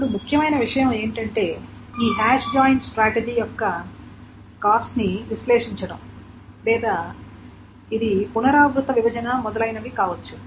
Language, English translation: Telugu, Now the important thing is to analyze the cost of this has joined strategy or it may be recursive partitioning, etc